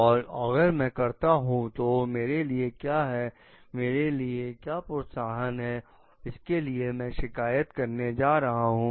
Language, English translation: Hindi, So and what if so, what is there in me, what are the incentives that I need to have so that I am going to complain